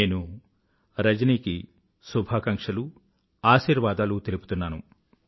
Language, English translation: Telugu, My best wishes and blessings to Rajani